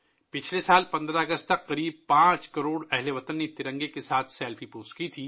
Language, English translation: Urdu, Last year till August 15, about 5 crore countrymen had posted Selfiewith the tricolor